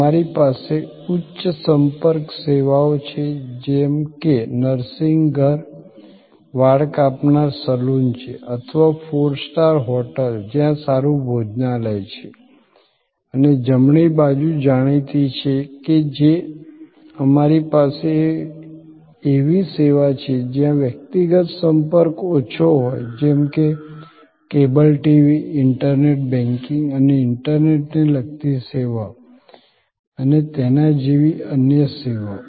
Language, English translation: Gujarati, We have the high contact services like nursing home are hair cutting saloon or a four star hotel are a good restaurant and known the right hand side we have low contact services, where there is low person to person contact like cable TV are internet banking and other internet base services and so on